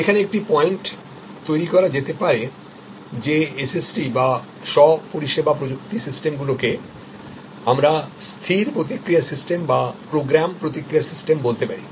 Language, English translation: Bengali, So, a point can be made here that is SST or Self Service Technology systems can be what we call fixed response systems or program response system